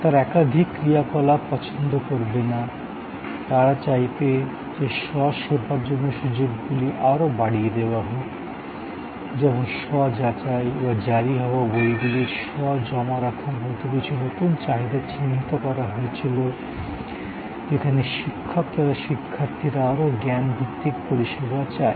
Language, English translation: Bengali, They would not like multiple operations, they would like to expand the opportunities for self service like self check out or self depositing of issued books and there was a new set of requirements identified, where faculty as well as students wanted more knowledge based services